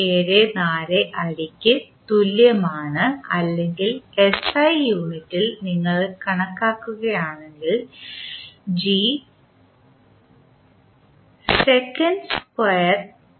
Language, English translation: Malayalam, 174 feet per second square or in SI unit if you are calculating g will be 9